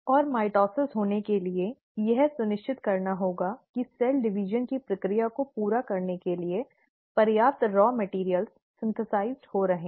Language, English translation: Hindi, And for mitosis to happen, it has to make sure that the sufficient raw materials which are required to carry out the process of cell division are getting synthesized